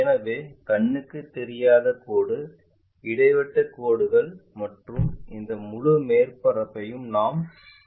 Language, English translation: Tamil, So, invisible line is dashed line and this entire surface we will see it as this object